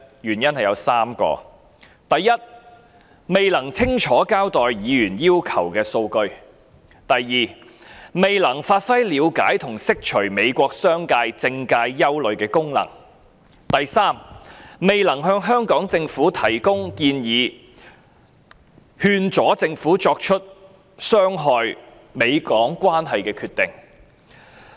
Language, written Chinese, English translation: Cantonese, 原因有3個：第一，它未能清楚交代議員要求的數據；第二，未能發揮了解和釋除美國商界和政界憂慮的功能；及第三，未能向香港政府提供建議，勸阻政府作出傷害美港關係的決定。, There are three reasons . First it failed to explain the data that Members had requested; second it failed to fulfil its function of understanding and addressing the concerns of the business and political sectors in the United States; and third it failed to provide advice to the Hong Kong Government and dissuade it from making decisions that undermine the United States - Hong Kong relationship